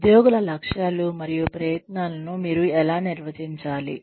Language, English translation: Telugu, How do you define employee goals and efforts